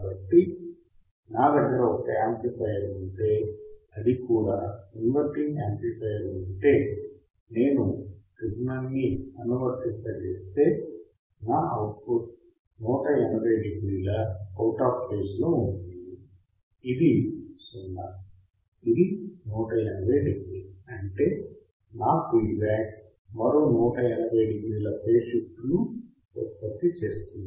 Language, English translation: Telugu, So, if I have a amplifier that is my inverting amplifier inverting amplifier, right if I apply a signal, then my output would be 180 degree out of phase, this is 0, this is 180 degree; that means, my feedback should produce another 180 degree phase shift